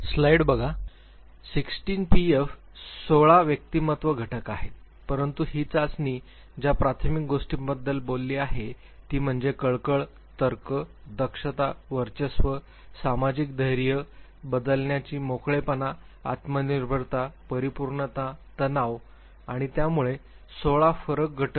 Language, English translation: Marathi, Now 16 PF are different 16 personality factors, but the primary factors that this test talks about are warmth, reasoning, vigilance, dominance, social boldness, openness to change, self reliance, perfectionism, tension and so; 16 difference factors